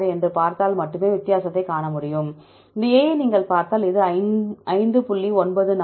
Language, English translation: Tamil, 46; if you look into this A it is 5